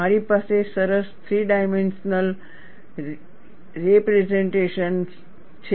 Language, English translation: Gujarati, I have a nice three dimensional representation